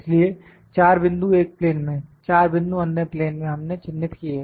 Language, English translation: Hindi, So, the 4 points in one plane, the 4 points in other plane we have marked